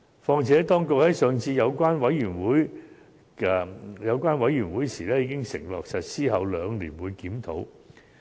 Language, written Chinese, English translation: Cantonese, 況且，當局在上次的小組委員會會議上已承諾，會在法例實施兩年後檢討。, What is more at the last Subcommittee meeting the authorities undertook to conduct a review two years after the legislation has come into force